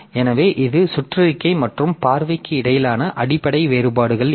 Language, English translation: Tamil, So, these are the basic differences between this circular look and look